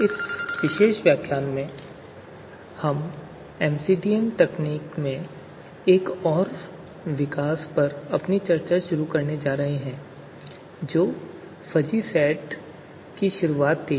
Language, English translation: Hindi, So in this particular lecture we are going to start our discussion on another development in MCDM techniques which was the introduction of fuzzy sets